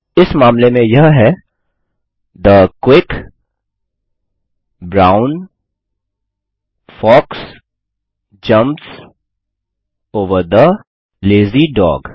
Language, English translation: Hindi, In this case it is The quick brown fox jumps over the lazy dog